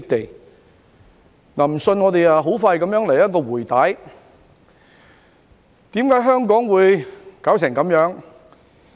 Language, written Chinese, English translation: Cantonese, 若然不信，我們現在很快來一次"回帶"，看看為何香港會弄得這樣子。, If you are not convinced let us have a quick flashback now to check out the reasons why Hong Kong has come to this state